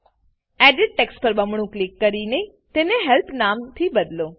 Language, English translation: Gujarati, Double click on the Edit text and rename it to Help